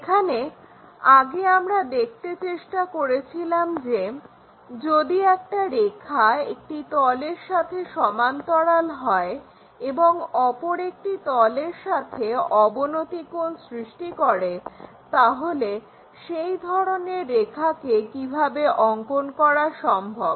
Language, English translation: Bengali, In this earlier we try to look at, if a line is parallel to one of the plane perhaps making an inclination angle with respect to the other plane, how to draw those lines